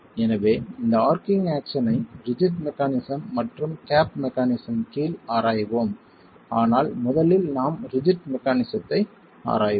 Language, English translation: Tamil, And so we will examine this arching action under rigid mechanism and the gap mechanism but first we are examining the rigid mechanism